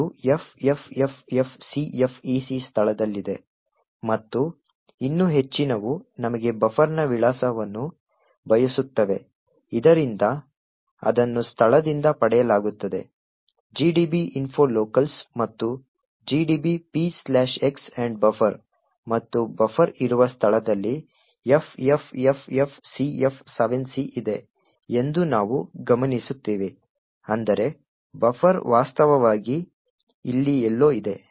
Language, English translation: Kannada, This is at the location FFFFCFEC and further more we want the address of buffer so that is obtained from the location info locals and P slash x ampersand buffer and we note that FFFFCF7C is where the buffer is present so that is that means the buffer is actually present somewhere here